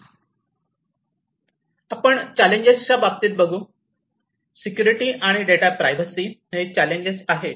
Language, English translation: Marathi, So, in terms of the challenges; security and data privacy, challenges are there